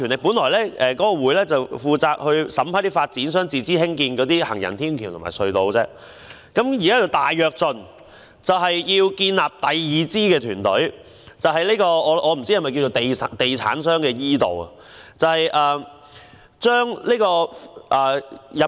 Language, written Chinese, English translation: Cantonese, 本來該委員會只負責審批發展商自資興建的行人天橋及隧道，現在則"大躍進"，建立第二支團隊，我不知道這是否地產商的 e- 道。, Originally the Advisory Committee is only responsible for approving footbridges and tunnels built by developers at their own expenses but now it has attained a great leap forward and a second team is formed . I do not know whether that is the e - channel for property developers